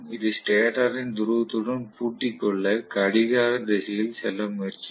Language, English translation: Tamil, It will try to move in the clockwise direction to lock up with the pole of the stator